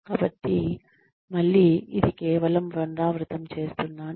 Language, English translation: Telugu, So, Again, this is just a repetition